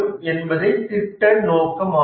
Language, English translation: Tamil, So, this is the project scope